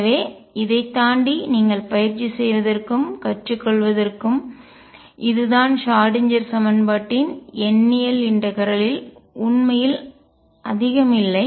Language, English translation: Tamil, So, this is for you to practice and learn beyond this there is not really much to do in numerical integration of Schrödinger equation